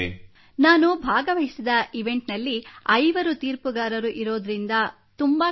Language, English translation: Kannada, In an event like mine it is very tough because there are five judges present